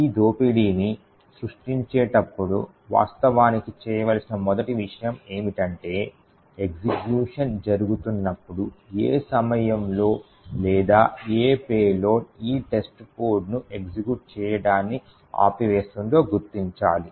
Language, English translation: Telugu, The first thing to actually do when creating this expert is to identify at what point during execution or what payload would actually cause this test code to stop executing